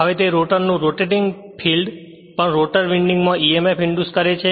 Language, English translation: Gujarati, Now, also that rotor your rotating field induces emf in the rotor winding because rotor is also there